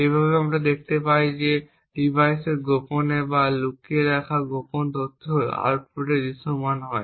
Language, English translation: Bengali, Thus, we see that the secret data stored secretly or concealed in the device is visible at the output